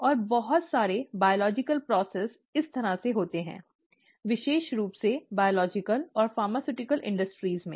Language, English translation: Hindi, And, very many biological processes happen this way, specially in biological and pharmaceutical industries, okay